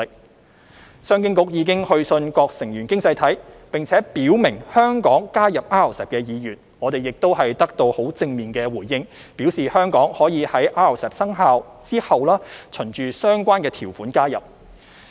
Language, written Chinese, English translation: Cantonese, 商務及經濟發展局已去信各成員經濟體，並且表明香港加入 RCEP 的意願，並已得到正面回應，表示香港可在 RCEP 生效後循相關條款加入。, The Commerce and Economic Development Bureau CEDB has written to the member economies stating Hong Kongs interest to join RCEP and received positive responses that Hong Kongs accession could be facilitated in accordance with the relevant provisions after RCEP enters into force